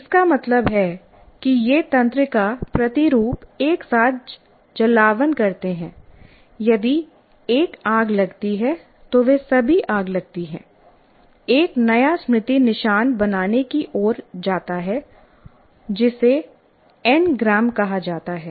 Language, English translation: Hindi, That means these neural patterns firing together, if one fires, they all fire, leads to forming a new memory trace called n gram